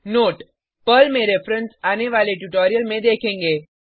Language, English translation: Hindi, Note: Reference in Perl will be covered in subsequent tutorial